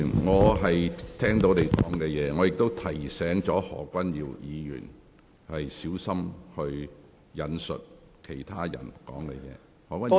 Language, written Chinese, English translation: Cantonese, 我亦已提醒何君堯議員，應小心引述其他人的說話。, I have also reminded Dr Junius HO that he should be careful when he quotes another persons words